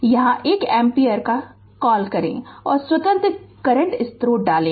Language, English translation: Hindi, So, put 1 ampere here what you call and the independent current source here